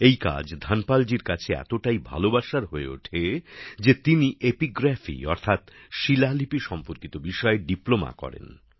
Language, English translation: Bengali, Dhanpal ji's mind was so absorbed in this task that he also did a Diploma in epigraphy i